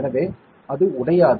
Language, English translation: Tamil, So, it does not break